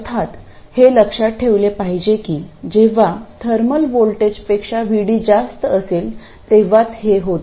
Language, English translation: Marathi, Of course, it must be remembered that this holds only when VD is much more than the thermal voltage